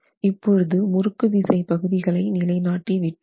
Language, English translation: Tamil, So the torsional shear components are established